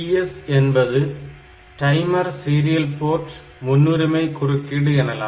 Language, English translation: Tamil, So, PS is the priority of timer serial port interrupts